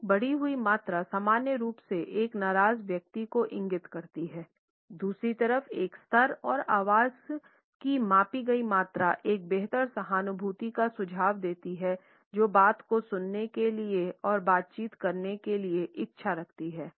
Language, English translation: Hindi, An increased volume normally indicates an angry person, on the other hand a level and measured volume of the voice suggest a better empathy the willingness to talk to listen and to negotiate